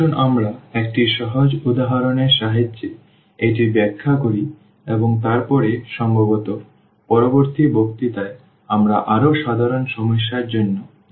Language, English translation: Bengali, Let us explain this with the help of simple example and then perhaps in the next lecture we will go for more general problems